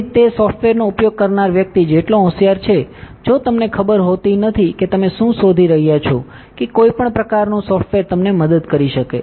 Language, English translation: Gujarati, So, it is only as intelligent as the person using the software, if you do not know exactly what you are looking at what no kind of software can help you